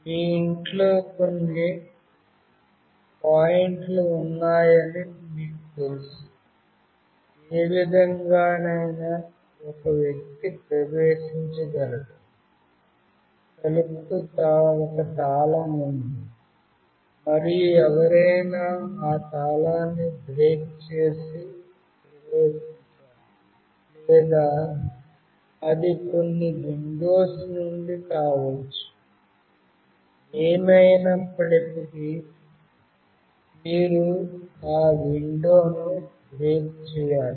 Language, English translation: Telugu, Any way if you know that there are certain points in your house through which a person can enter; the door there is a lock and someone has to break that lock and have to enter, or it can be from some windows anyway you have to break that window